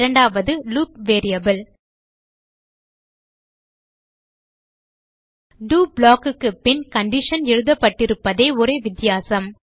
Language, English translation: Tamil, And the second is the loop variable The only difference is that the condition is written after the do block